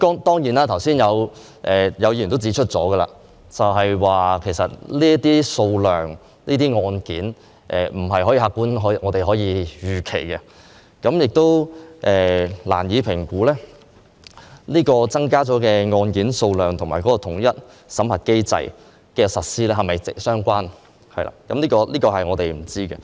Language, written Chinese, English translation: Cantonese, 當然，有議員剛才亦指出，這些案件的數量，不是我們可以客觀預期的，我們亦難以評估增加的案件數量及統一審核機制的實施是否相關；相關答案，我們都不清楚。, Of course a Member has just pointed out that the caseload is not what we can anticipate objectively and it is also difficult for us to assess whether the rising caseload is related to the implementation of the unified screening mechanism . We are not sure about the answers concerned